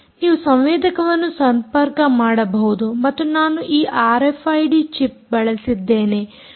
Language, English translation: Kannada, right, you can connect sensors, and i used this r f i d chip and in fact, this was done in the lab